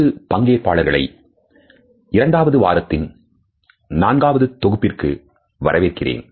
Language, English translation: Tamil, Welcome dear participants to the fourth module of the second week